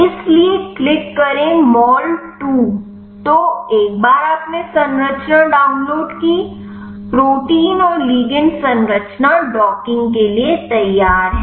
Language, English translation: Hindi, So, once you downloaded the structure, protein and ligand structure is ready for the docking